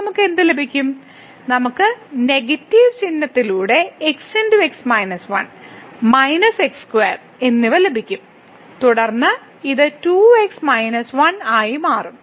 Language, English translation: Malayalam, So, what we will get; we will get into minus 1 and then minus square here with the negative sign and then this will become 2 minus 1